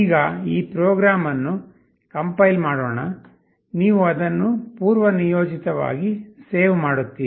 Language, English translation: Kannada, Now, let me compile this program, you save it by default